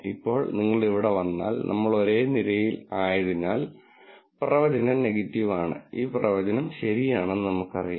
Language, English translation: Malayalam, Now, if you come to this right here, since we are on the same row, the prediction is negative and we also know that this prediction is true